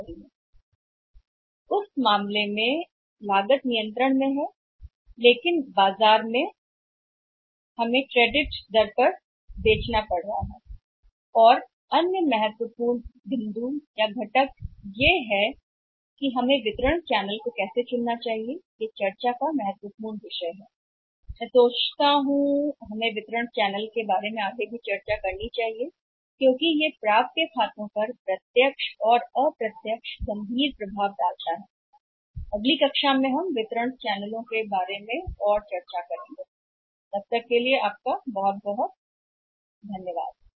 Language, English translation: Hindi, And in that case is cost is controllable but the credits are coming up in the market we have to sell on the credit and what are the important points and other important components and how we should select a channel of distribution this is the important discussion I think we should have further more discussion about the channel of distribution because it is a direct or serious impact upon the accounts receivables so further more discussion on the channel of distribution I will have in the next class thank you very much